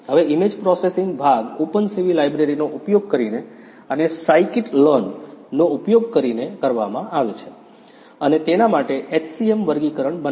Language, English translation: Gujarati, Now the image processing part is done using the openCV library and using the scikit learn, we have created the HCM classifier for it